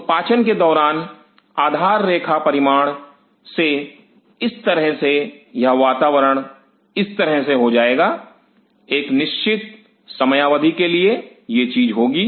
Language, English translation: Hindi, So, from the base line value during digestion, thus this environment will go like this for a finite period of time, this thing happens